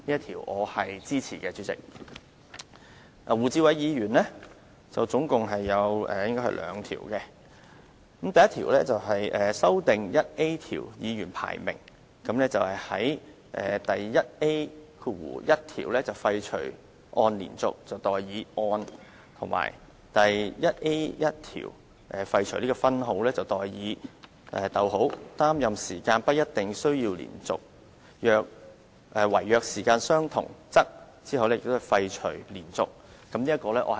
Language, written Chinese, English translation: Cantonese, 胡志偉議員也提出了兩項修訂，第1項是修訂第 1A 條，在第 1A1 條廢除"按連續"而代以"按"，以及廢除分號而代以"，擔任時間不一定需要連續；惟若時間相同，則"，在第 1A2 條則廢除"連續"。, Mr WU Chi - wai also proposes two amendments and the first one is proposed to RoP 1A . With regard to RoP 1A1 he proposes to repeal the continuous and substitute the and repeal the semicolon and substitute whilst it is not necessary for him to hold office for a continuous period of time; when more than one Member has held office for the same period of time . As for RoP 1A2 he proposes to repeal continuous